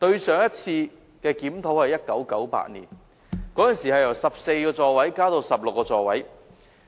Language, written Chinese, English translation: Cantonese, 上次的檢討是1988年，當時由14個座位增至16個座位。, The previous review was conducted in 1988 when 14 seats were increased to 16 seats